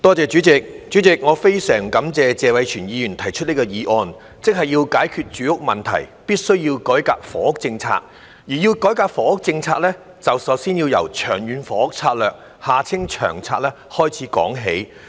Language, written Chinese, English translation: Cantonese, 代理主席，我非常感謝謝偉銓議員提出這項議案，即要解決住屋問題，必須改革房屋政策，而要改革房屋政策，便首先要由《長遠房屋策略》開始說起。, Deputy President I am very grateful to Mr Tony TSE for proposing this motion which points out that to solve the housing problem it is necessary to reform the housing policy and in order to reform the housing policy we must start with the Long Term Housing Strategy LTHS